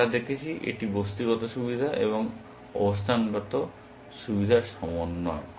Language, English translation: Bengali, We had seen it is a combination of material advantage and positional advantage